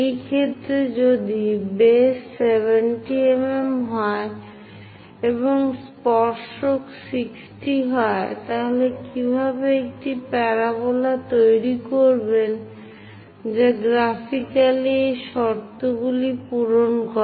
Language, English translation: Bengali, In that case, if only base 70 mm is given and tangents making 60 degrees; then how to construct a parabola which satisfies these conditions graphically